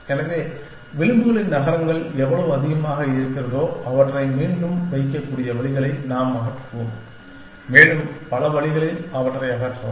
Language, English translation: Tamil, So, the more the cities of the edges we remove, the more the ways you can put them back in and more the ways you can remove them in